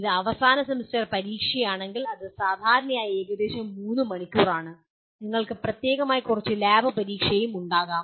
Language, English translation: Malayalam, If it is end semester exam, it is generally about 3 hours and you may have some lab exam separately